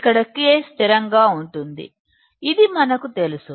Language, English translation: Telugu, Here K is constant, we know it